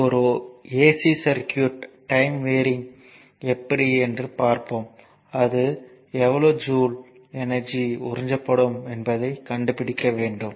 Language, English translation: Tamil, And this is also a time varying we will see for a ac circuit, but this is simply given you have to find out the energy the joule absorbed right